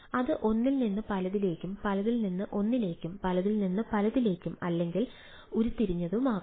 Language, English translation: Malayalam, it can be one to many, many to one, many to many and can be derived right